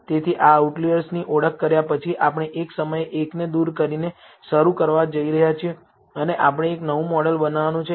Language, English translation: Gujarati, So, after identifying these outliers, we are going to start by removing one at a time and we are going to build a new model